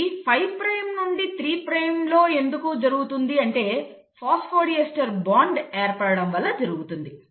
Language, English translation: Telugu, And I had explained why it happens in 5 prime to 3 prime because of the phosphodiester bond formation